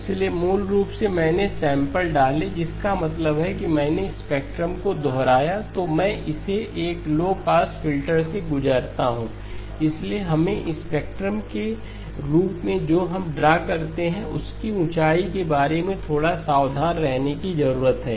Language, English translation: Hindi, So basically I inserted samples which means I replicated the spectrum then I pass it through a low pass filter, so we need to be a little bit careful about the height of what we draw as the spectrum